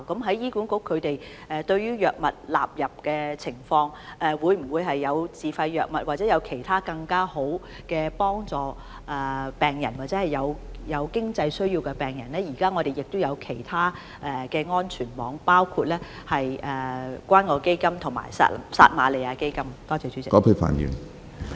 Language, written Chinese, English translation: Cantonese, 對於醫管局納入藥物的情況，以及會否有自費藥物或其他更好的方法可以幫助到有經濟需要的病人的問題，醫管局現時是設有其他安全網的，包括關愛基金及撒瑪利亞基金。, Regarding the introduction of new drugs by HA and the availability of SFIs or other better means to help patients with financial needs HA has other safety nets for these patients including the Community Care Fund CCF and the Samaritan Fund